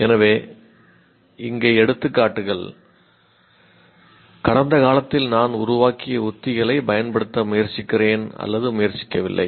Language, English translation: Tamil, So here examples, I try, do not try to use strategies that I have worked out in the past